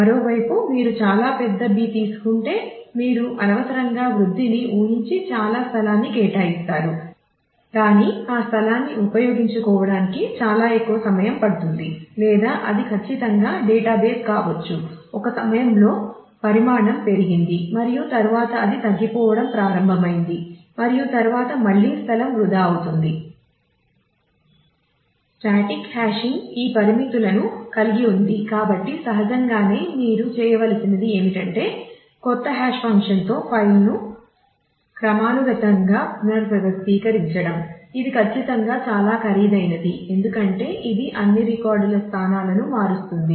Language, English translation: Telugu, On the other hand if you take a too large a B then you will unnecessarily allocate a lot of space anticipating growth, but it may take a very significant amount of time to utilize that that space or also it is possible that it the database at certain point of time grew to a large size and then it started shrinking and then again space will get wasted